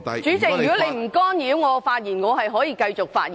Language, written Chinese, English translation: Cantonese, 主席，如果你不干擾我發言，我會繼續發言。, President I will continue to speak if you do not interrupt me